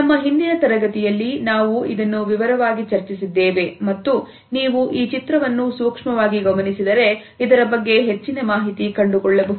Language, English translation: Kannada, In our previous module we have discussed it in detail and if you look closely at this diagram you would find that this is further information about it